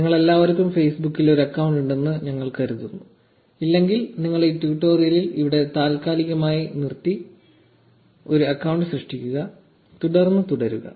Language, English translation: Malayalam, We assume all of you have an account on Facebook, if you do not please pause this tutorial here, create an account and then continue